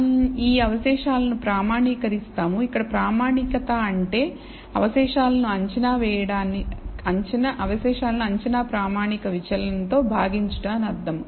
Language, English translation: Telugu, We will standardize these residuals, where what we mean by standardization is to divide the residual by it is standard deviation estimated standard deviation